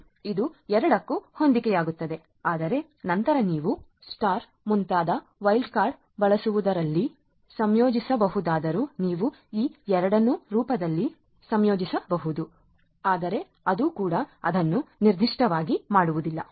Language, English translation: Kannada, * which will match both, but then although you can combine in the using a wild card like star etcetera you could combine these two in the form of one rule, but then that will also not make it very specific right